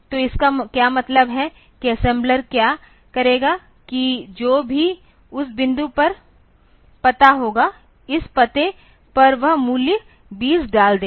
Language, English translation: Hindi, So, what it means what the assembler will do is that whatever be the address at this point at that address it will put the value 20